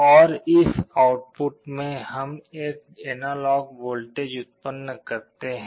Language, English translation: Hindi, And in the output, we generate an analog voltage